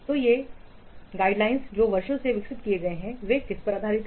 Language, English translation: Hindi, So these guidelines those have been evolved over the years they are based on what